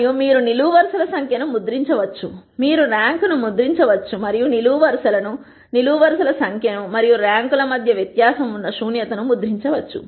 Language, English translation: Telugu, And you can print the number of columns, you can print the rank and you can print nullity which is the difference between columns and the rank number of columns and the rank